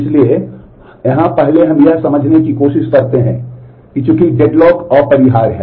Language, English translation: Hindi, So, here first we try to understand how since dead locks are inevitable